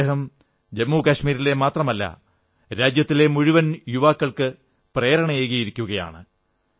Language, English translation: Malayalam, Today, he has become a source of inspiration not only in Jammu & Kashmir but for the youth of the whole country